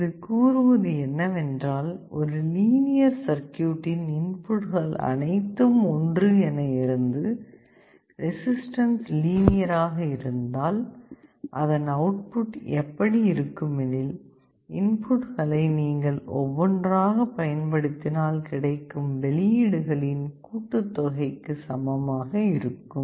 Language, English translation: Tamil, It says that when multiple inputs are applied to a linear circuit; resistance is linear, then the output will be the same as the sum of the outputs where you are applying the inputs one at a time